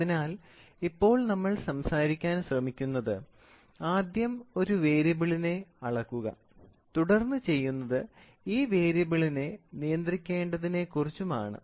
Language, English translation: Malayalam, So, now, what are we trying to talk about is we are trying to talk about, first you measure a variable and then what you do is this variable has to be controlled